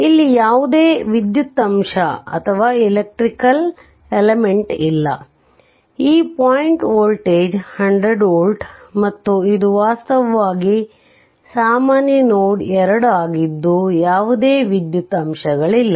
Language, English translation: Kannada, So, this point voltage is 100 volt right and this 2 this this is actually a common node no electrical element is there